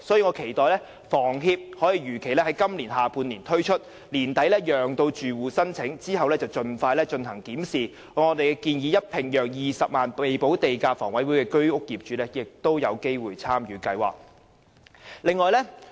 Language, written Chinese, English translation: Cantonese, 我期待房協可如期在今年下半年推出計劃，並於年底讓住戶申請，然後盡快檢視，並如我們所建議，讓20萬名未補地價的房委會居屋業主也有機會參與計劃。, I look forward to seeing the implementation of the scheme by HS in the second half of this year . Tenants can then apply towards the end of the year and the application will be processed expeditiously . In that case 200 000 owners of HOS flats with premium unpaid will be able to take part in our proposed scheme